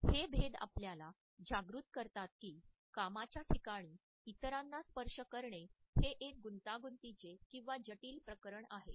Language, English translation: Marathi, These differences alert us to this idea that touching other human beings in a workplace is a fuzzy as well as a complex area